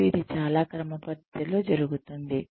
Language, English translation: Telugu, And, this is done very systematically